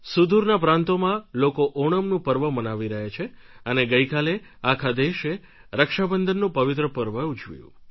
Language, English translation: Gujarati, Far south, the people are engrossed in Onam festivities and yesterday the entire Nation celebrated the holy festival of Raksha Bandhan